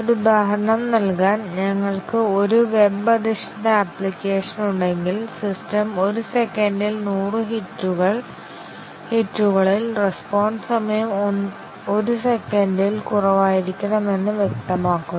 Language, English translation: Malayalam, Just to give an example, if we have a web based application and it is specified that the system should, at 100 hits per second, the response times should be less than 1 second